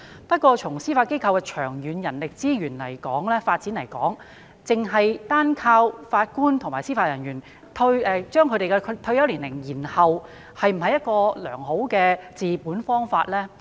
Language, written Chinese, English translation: Cantonese, 不過，從司法機構長遠的人力資源發展角度來看，單靠延展法官及司法人員的退休年齡，是否一個理想的治本方法呢？, Nevertheless is extending the retirement ages of Judges and Judicial Officers alone the ideal and ultimate solution with respect to the long - term human resources development of the Judiciary?